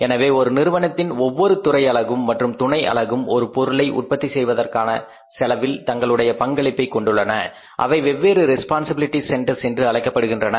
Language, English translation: Tamil, So, all the departments units and subunits of the firm contributing towards the cost of production of the product, they are called as definite responsibility centers